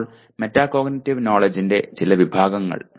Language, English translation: Malayalam, Now some of the categories of metacognitive knowledge